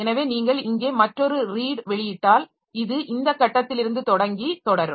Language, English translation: Tamil, So if you issue another read here so it will start from this read from this point and continue